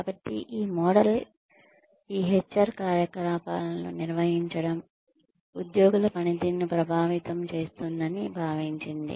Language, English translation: Telugu, So, this model assumed that, managing these HR activities could influence, employee performance